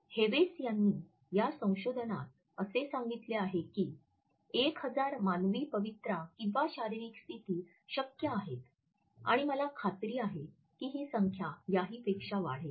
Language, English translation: Marathi, Hewes has reported in this research that 1,000 study human postures are possible and I am sure that the number would rise